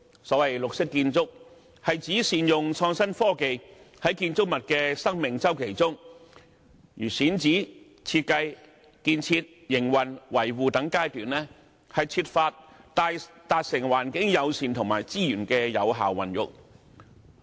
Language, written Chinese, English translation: Cantonese, 所謂綠色建築是指善用創新科技在建築物的生命周期中，例如選址、設計、建設、營運及維護等階段，設法達致環境友善和資源有效運用的目的。, The so - called green architecture is about the optimal use of innovation and technology in the service life of a building at such stages as site selection design construction operation and maintenance seeking to achieve the purposes of environmentally - friendliness and effective use of resources